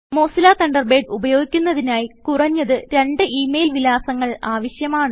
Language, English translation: Malayalam, To use Mozilla Thunderbird,You must have at least two valid email addresses